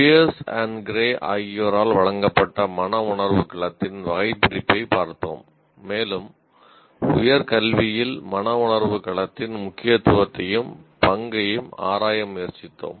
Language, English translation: Tamil, We looked at the taxonomy of affective domain as given by Pearson Gray and we tried to relate, we tried to explore the importance and the role of affective domain at higher education itself